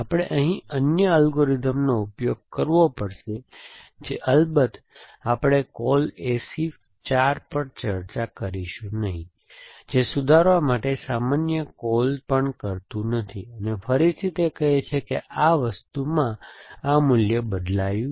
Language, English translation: Gujarati, We have to another algorithm which of course we will not discuss call A C 4 does not even make generic calls to revise, again it says this value has change in this thing